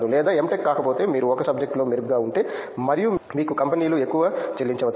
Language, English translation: Telugu, No, if not M Tech you are better at a subject and you will be paid more by companies